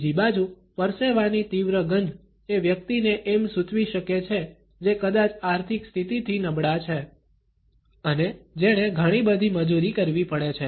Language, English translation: Gujarati, On the other hand, there is strong odor of sweat can indicate a person who is perhaps from a lower financial status and who has to indulge in a lot of manual labor